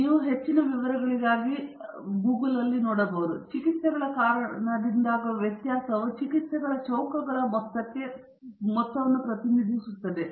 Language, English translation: Kannada, So, the variability due to treatments is represented in terms of the sum of squares of the treatments